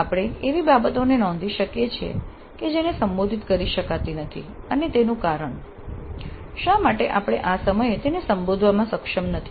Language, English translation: Gujarati, So if they are there we can note down things that cannot be addressed and the reasons thereof why we are not able to address that at this juncture